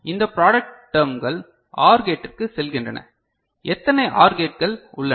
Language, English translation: Tamil, So, this product terms are going to OR gates ok, how many OR gates are there